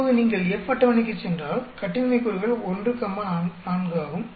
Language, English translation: Tamil, Now if you go to F table, the degrees of freedom is 1 comma 4